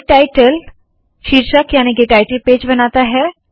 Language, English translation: Hindi, Make title, creates the title page